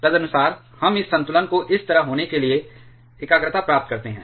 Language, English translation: Hindi, Accordingly, we get this equilibrium concentration to be like this